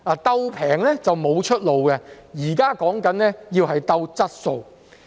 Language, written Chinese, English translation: Cantonese, "鬥便宜"是沒有出路的，現時所說的是要"鬥質素"。, There is no way out to compete for the cheapest prices so we are talking about competing for quality